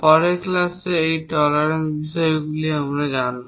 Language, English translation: Bengali, In the next class we will learn more about tolerances